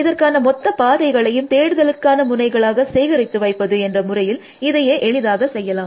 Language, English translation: Tamil, Now, one simple way of doing that, is to store the entire path as the search nodes essentially